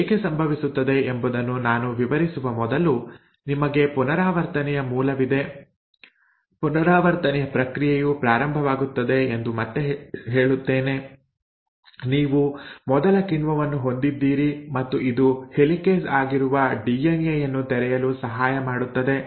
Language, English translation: Kannada, Now that happens because, so let me before I get there let me again tell you the there is origin of replication that the process of replication will start; you have the first enzyme which comes in and which helps you in unwinding the DNA which is the helicase